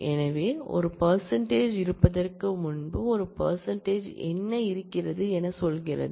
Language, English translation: Tamil, So, what is there is a percentage before there is a percentage after